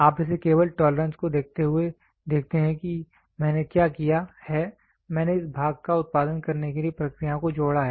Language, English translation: Hindi, You look at it just by looking at the tolerance now what I have done is I have added processes to produce this part